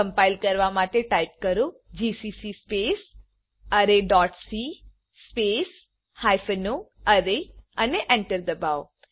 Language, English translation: Gujarati, To compile type, gcc space array dot c space hypen o array and press Enter